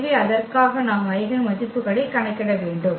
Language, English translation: Tamil, So, for that we need to compute the eigenvalues